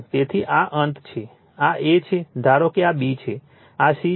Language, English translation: Gujarati, So, this is your end, this is your A, suppose this is your B, this is your C